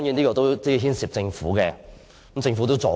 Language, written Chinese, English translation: Cantonese, 這當然牽涉政府，政府也有"助攻"。, This of course involves the Government and the Government has also helped out